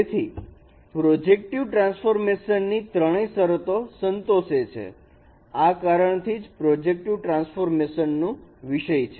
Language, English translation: Gujarati, So they satisfy all the three conditions of the projective transformation that is why it is a case of projective transformation